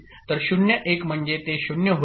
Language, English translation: Marathi, So 0 1 means it will become 0